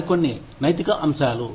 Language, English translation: Telugu, Ethical aspects of some more